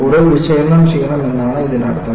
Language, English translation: Malayalam, So, that means, I should do more analysis